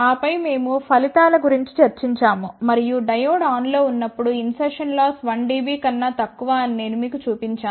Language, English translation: Telugu, And then we discussed about the results and I had shown you that insertion loss is less than 1 dB when diode is on